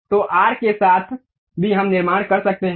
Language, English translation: Hindi, So, along arc also we can construct